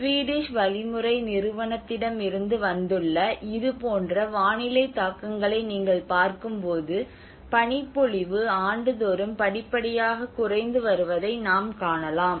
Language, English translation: Tamil, But when you look at the weather impacts like this is from the Swedish methodological agency and where we can see the snow cover have started gradually reduced from year after year